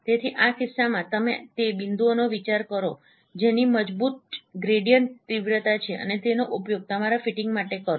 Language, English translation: Gujarati, So in this case you consider those points which have a strong gradient magnitude and use them for your fitting